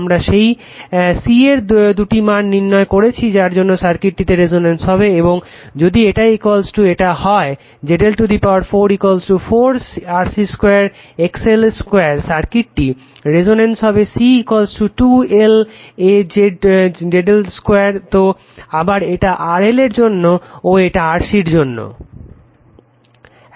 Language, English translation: Bengali, We obtained two values of c for which the circuit is resonance and if this one is equal to this 1 ZL to the power four is equal to 4 RC square XL square the circuit is resonance at C is equal to 2 L upon ZL square right again this is for L this is for C